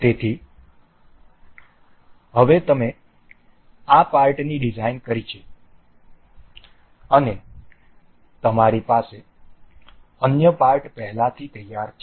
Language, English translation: Gujarati, So, now, you have designed this part and you have other parts already ready